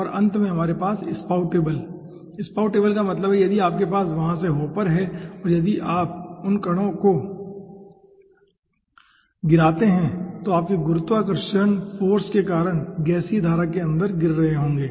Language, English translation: Hindi, spoutable means if you have hopper from there, if you drop the particles, those will be falling inside the gaseous stream in the by virtue of your gravitational force